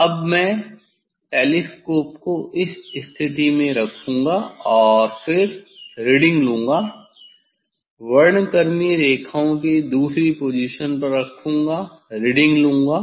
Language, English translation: Hindi, Now, I will put the telescope at this position and take the reading then, put the second position second position spectral lines take the reading if you see the table